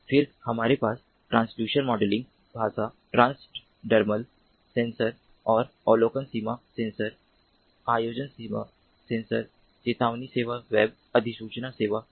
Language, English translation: Hindi, then we have the transducer modeling language, transducer ml, sensor observation service, sensor planning service, sensor alert service, web notifications services